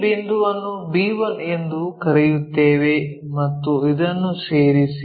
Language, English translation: Kannada, Call this point our b1 and join this one